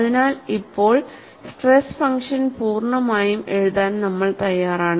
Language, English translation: Malayalam, So, now, we are ready to write the stress function completely